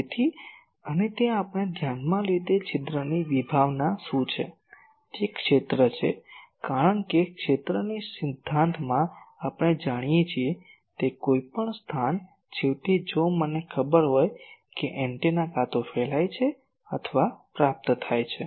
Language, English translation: Gujarati, So, and that what is the concept of that aperture we considered, that it is the area which, because any place we know in the field theory, ultimately if I know the antenna is either radiating or receiving